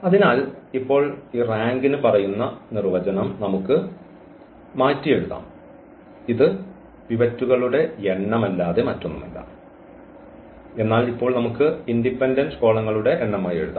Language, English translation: Malayalam, So, now we can rewrite our definition which says for this rank that this is nothing but a number of pivots, but now we can write down as the number of independent columns